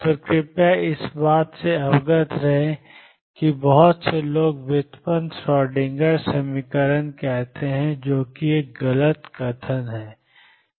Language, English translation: Hindi, So, please be aware of that lot of people say derived Schrödinger equation that is a wrong statement to make